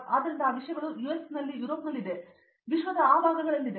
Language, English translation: Kannada, So, those things are there in US, in Europe, so those parts of the world